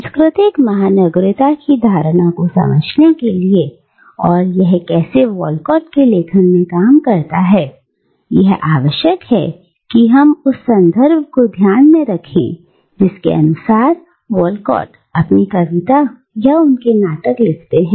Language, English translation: Hindi, Now, to understand the notion of cultural cosmopolitanism and how it operates in the writings of Walcott, we need to keep in mind the specific context from within which Walcott writes his poetry or his plays